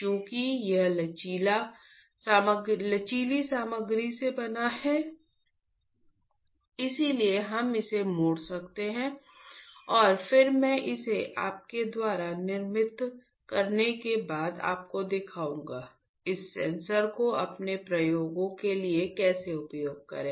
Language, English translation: Hindi, Since it is made up of flexible material that is why we can bend it and then I will show it to you after you fabricate, fabricate this sensor how to use it for your experiments ok